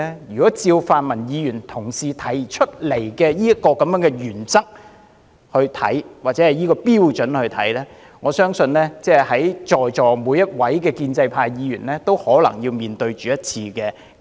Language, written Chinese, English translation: Cantonese, 如果按照泛民同事提出的原則或標準來看，我相信在席每位建制派議員也可能要面對一次不信任議案。, If the principle or standard put forward by the pan - democratic Members applies I believe every Member of the pro - establishment camp here might have to face a no - confidence motion once